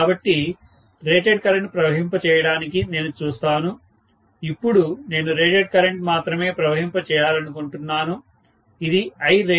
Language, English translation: Telugu, So, I would see that to pass rated current, now I want to pass only rated current, this is Irated